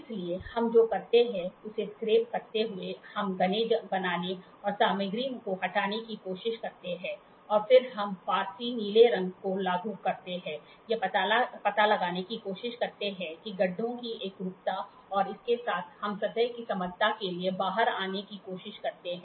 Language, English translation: Hindi, So, scraping what we do is we try to make dense and remove material and then we apply Persian blue, try to figure out where the uniformity of the pits and with that we try to come out to the flatness of the surface